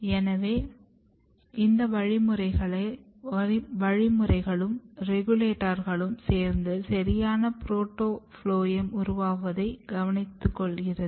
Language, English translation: Tamil, So, these mechanisms or these regulators together they are functioning to ensure a proper protophloem specification